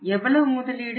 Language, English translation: Tamil, How much that investment